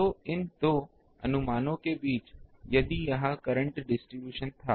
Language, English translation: Hindi, So, between these 2 suppose, if this was the current distribution here